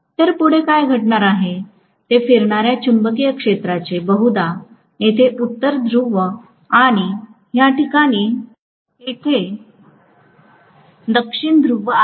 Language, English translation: Marathi, So what is going to happen is the revolving magnetic field probably has a North Pole here and South Pole here at this point